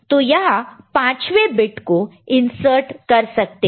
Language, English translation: Hindi, So, the fifth bit can be inserted in that here like this